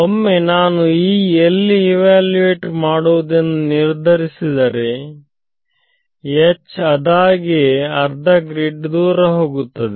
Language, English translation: Kannada, Once I fix where E is evaluated H automatically becomes staggered by half grid right